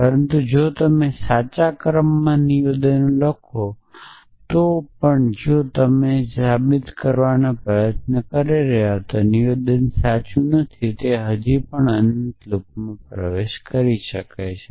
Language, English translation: Gujarati, But even if you write statements in the correct order if the statement that you trying to prove is not true it can still get into an infinite loop essentially